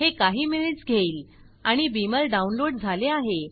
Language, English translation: Marathi, It took a few minutes and downloaded Beamer